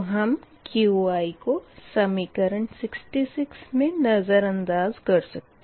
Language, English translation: Hindi, right, and qi may be neglected in equation seventy